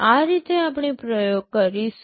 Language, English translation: Gujarati, This is how we shall be doing the experiment